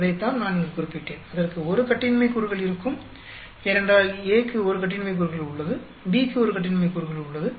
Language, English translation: Tamil, That is what I mentioned here; it will have 1 degree of freedom, because A has 1 degree of freedom, B has 1 degree of freedom